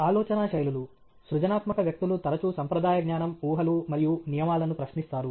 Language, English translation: Telugu, Thinking styles creative people often question conventional wisdom, assumptions, and rules okay